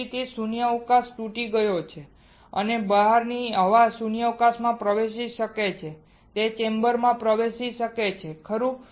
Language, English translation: Gujarati, So, that the vacuum is broken and air from the outside can enter the vacuum can enter the chamber, right